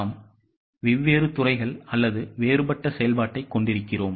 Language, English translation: Tamil, We are having different departments or different functions